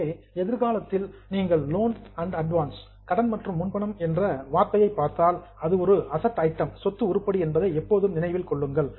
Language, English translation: Tamil, So in future if you see the word loan and advance, always keep in mind that it is an asset item